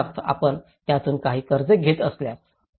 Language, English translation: Marathi, Like for instance, if you are getting some loan out of it